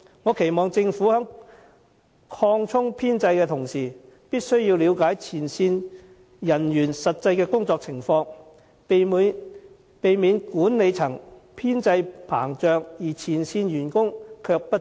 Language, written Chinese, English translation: Cantonese, 我期望政府在擴充編制的同時，了解前線人員的實際工作情況，避免管理層編制膨脹，但前線員工不足。, I hope that when the Government expands the civil service establishment it can seek to understand the actual situation of frontline staff lest the increase may end up in an expansion of the managerial establishment but a shortage of frontline staff